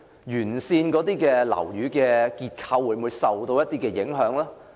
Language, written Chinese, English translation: Cantonese, 沿線樓宇的結構會否受影響？, Will the structure of buildings along XRL be affected?